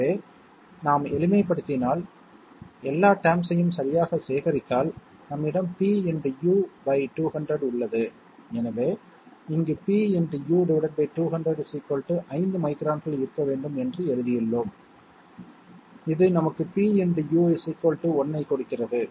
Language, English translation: Tamil, So if we simplify, collect all the terms properly we have p into U divided by 200, so we have written here p into you divide by 200 should be equal to 5 microns, which gives us pU equal to 1